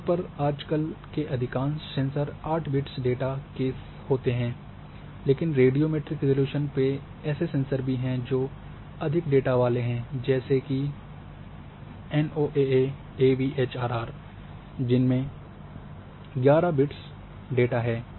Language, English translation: Hindi, Generally, now a day’s most of the sensors are having 8 bits data, but there are sensors which are having more data more width on radiometric resolution like NOAA AVHRR having 11 bits data